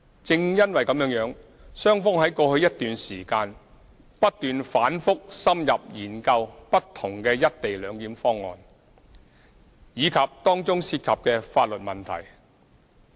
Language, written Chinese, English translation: Cantonese, 正因如此，雙方在過去一段時間，不斷反覆深入研究不同的"一地兩檢"方案，以及當中涉及的法律問題。, It is precisely for this reason that the two sides have for the past period of time repeatedly studied different co - location arrangement options as well as the legal issues involved